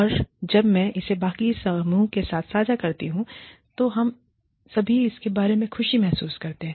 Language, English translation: Hindi, And, when I share this, with the rest of the team, we all feel happy about it